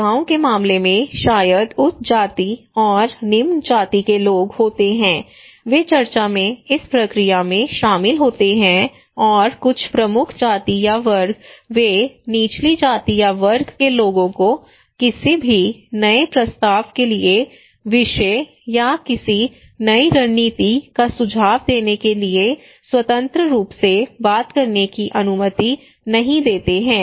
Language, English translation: Hindi, In case of in a village maybe there are upper caste and lower caste people, they are involving into this process in discussions and some of the dominant caste dominant class, they do not allow the lower caste people or lower class people to talk freely to propose any new topic or to suggest any new strategies